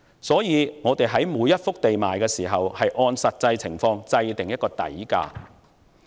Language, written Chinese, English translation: Cantonese, 因此，我們在出售每一幅土地時，應按實際情況設定某一個數額的底價。, Hence we should come up with a certain amount as the reserve price by taking account of the actual situation when selling a piece of land